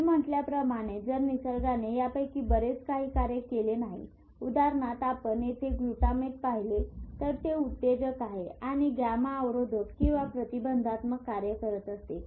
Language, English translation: Marathi, Because if nature doesn't fine tune, a lot of this if you see the glutamate here, as I said, is excitatory and GABA is inhibitory